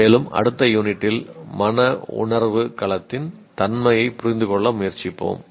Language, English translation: Tamil, And in the next unit, we will now try to understand the nature of affective domain of learning